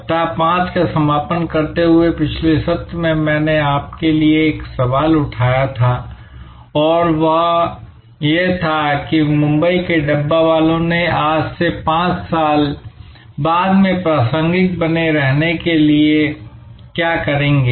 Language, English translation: Hindi, In the last session while concluding week number 5, I had raised a question for you and that was, what will the Mumbai dabbawalas do to remain as relevant 5 years from now as they are today